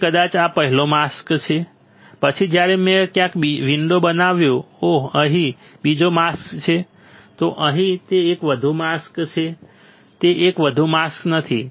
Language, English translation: Gujarati, So, maybe this is the first mask, then when I created window somewhere oh here a second mask, then oh here is it one more mask no no no it is not one more mask